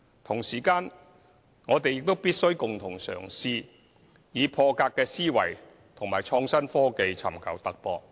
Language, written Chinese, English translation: Cantonese, 同時間，我們必須共同嘗試，以破格思維和創新科技尋求突破。, At the same time we should try out new initiatives together and seek a breakthrough by thinking out of the box and applying innovative technologies